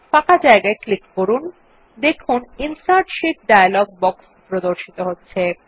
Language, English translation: Bengali, On clicking the empty space, we see, that the Insert Sheet dialog box appears